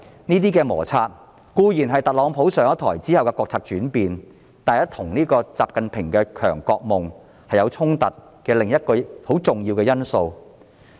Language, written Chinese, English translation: Cantonese, 這些摩擦是因特朗普上台後的國策轉變而起，但卻與習近平的強國夢有所衝突，這是另一個很重要的因素。, The change in national policies after Donald TRUMP has taken office has conflicted with XI Jinpings dream of a powerful country thus giving rise to frictions . This is another crucial factor